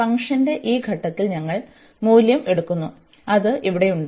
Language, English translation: Malayalam, And we take the value at this point of the function, which is here